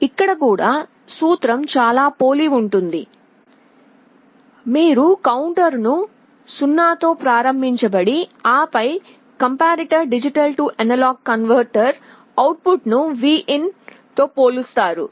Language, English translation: Telugu, Here also the principle is very similar, you start by initializing the counter to 0 and then the comparator will be comparing D/A converter output with Vin